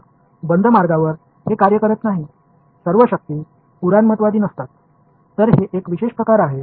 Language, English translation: Marathi, So, it does no work over a close path not all forces are conservative; so, this is a special case